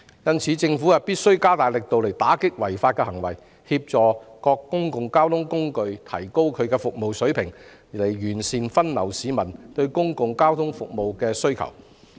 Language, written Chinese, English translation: Cantonese, 因此，政府必須加大力度打擊這種違法行為，並協助各公共交通工具提高服務水平，以便將市民對公共交通服務的需求妥善分流。, Therefore the Government should step up its efforts to crack down on such illegal activities and help various public transport operators raise their standard of service so as to properly divert the demand for public transport services